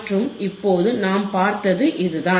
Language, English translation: Tamil, And that is what we have seen right now